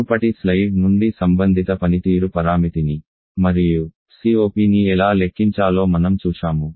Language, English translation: Telugu, From the previous slide we have seen how to calculate the corresponding performance para meter and also the COP